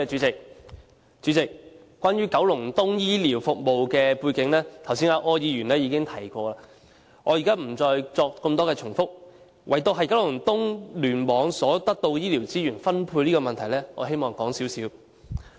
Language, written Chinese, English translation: Cantonese, 主席，關於九龍東醫療服務的背景，剛才柯議員已經提及，我不再在此贅述，唯獨就九龍東醫院聯網所獲得的醫療資源分配的問題，我希望談一談。, President the background of the healthcare services in Kowloon East was already mentioned by Mr OR just now . I am not going to dwell on it any further except for the problem of the allocation of healthcare resources for the Kowloon East Cluster KEC which I wish to talk about here